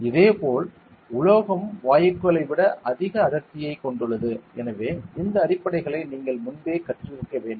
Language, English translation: Tamil, And similarly, metal has more density than gases and so on so you must have learned these basics before also